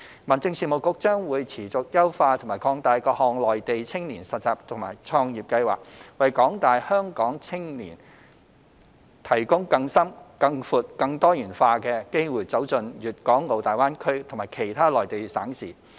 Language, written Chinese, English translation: Cantonese, 民政事務局將會持續優化和擴大各項內地青年實習及創業計劃，為廣大香港青年提供更深、更闊、更多元化的機會走進大灣區及其他內地省市。, HAB will continue to enhance and expand the various youth internship and entrepreneurship programmes on the Mainland with a view to providing young people of Hong Kong deeper wider and more diversified opportunities to explore GBA as well as other Mainland provinces and cities